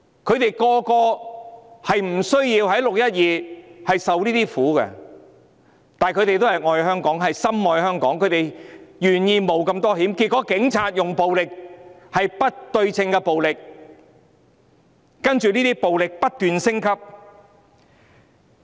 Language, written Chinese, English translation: Cantonese, 他們本來無須在"六一二"承受這些痛苦，但他們都愛香港、深愛香港，願意冒如此大的風險，但結果警察使用暴力——是不對稱的暴力——其後這些暴力更不斷升級。, In fact they did not have to endure such suffering on 12 June but they all love Hong Kong and love it dearly so they are prepared to take the great risks but in the end the Police used violence―disproportionate violence―and subsequently this kind of violence even escalated continually